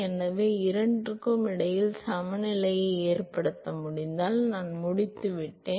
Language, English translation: Tamil, So, if I can make a balance between the two, I am done